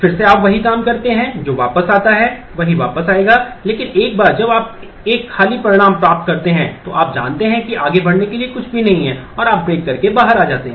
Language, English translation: Hindi, Again you do the same thing go back it will come back to the same, but once you get an empty result, you know that there is nothing more to proceed and you break